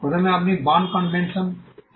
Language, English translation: Bengali, First you have the BERNE convention